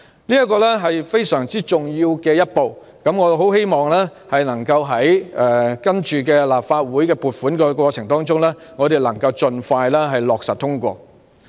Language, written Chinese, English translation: Cantonese, 這是非常重要的一步，我很希望在隨後的立法會撥款過程中，能夠盡快通過撥款。, This is a very important step and I earnestly hope that the funding application will be approved as soon as possible in the subsequent funding approval process of the Legislative Council